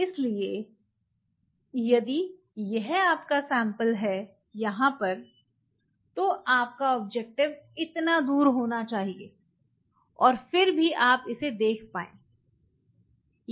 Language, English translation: Hindi, So, if this is your sample you should have the objective this for and yet you will you will be able to see it